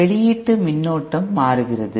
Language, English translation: Tamil, It is just that the output current changes